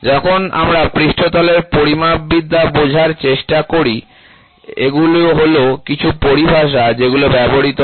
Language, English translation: Bengali, When we try to understand the surface metrology, these are some of the terminologies which are used